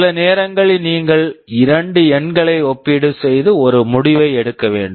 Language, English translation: Tamil, Sometimes you just need to compare two numbers and take a decision